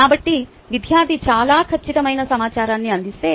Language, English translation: Telugu, so if the student provides the information which is mostly accurate